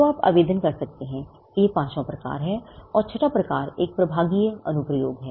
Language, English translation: Hindi, So, that’s the fifth type of application you can file, and the sixth type is a divisional application